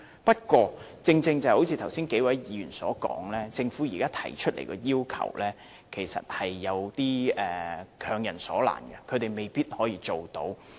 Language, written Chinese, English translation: Cantonese, 不過，正如剛才數位議員所說，政府現時提出的要求是有點強人所難，他們未必辦得到。, However as the several Members mentioned earlier the requirements now proposed by the Government are putting these recyclers in a difficult position